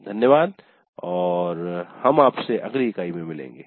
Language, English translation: Hindi, Thank you and we will meet in the next unit